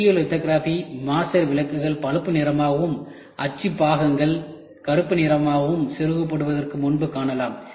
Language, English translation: Tamil, The stereolithography master lights brown as well as the set of mold parts black can be seen before getting inserted